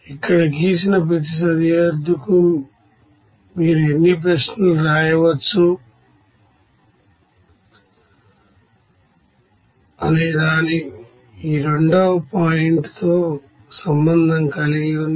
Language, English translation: Telugu, It is a second point has to do with the with how many questions you can write for each drawn boundary there